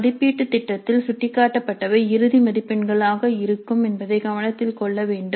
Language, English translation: Tamil, But it should be noted that what is indicated in the assessment plan would be the final marks